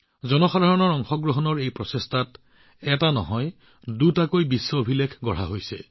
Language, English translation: Assamese, In this effort of ours for public participation, not just one, but two world records have also been created